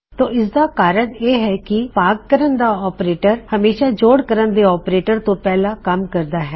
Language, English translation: Punjabi, Now, the reason for this is that division operator will always work before addition operator